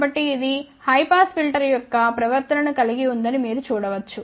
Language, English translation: Telugu, So, you can see that this has a behavior of high pass filter